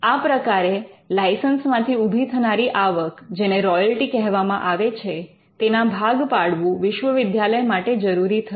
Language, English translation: Gujarati, So, the universities were required to share the income that comes out of licensing these inventions, what we called royalty